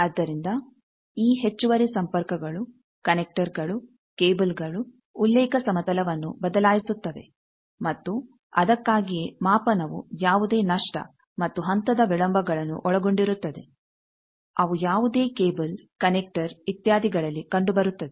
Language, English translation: Kannada, So, this extra thing that shifts the, this extra connections, connectors cables that shifts the reference plane and that is why the measurement includes those loss and phase delays that are obviously, present in any cable connector etcetera